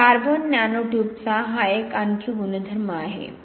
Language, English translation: Marathi, Now we know that carbon nano tube 0